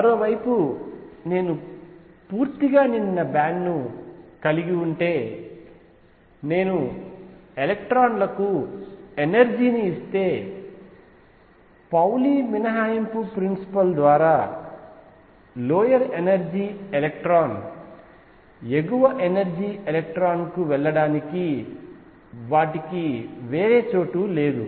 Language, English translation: Telugu, On the other hand if I have a band which is fully filled, if I give energy to these electrons they have no other place to go by Pauli exclusion principal lower energy electron cannot go to the upper energy electron